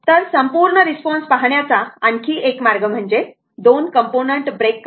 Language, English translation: Marathi, So, another way of looking at the complete response is to break into two components